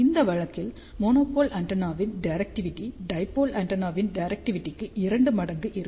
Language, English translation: Tamil, Directivity of the monopole antenna in this case will be two times the directivity of dipole antenna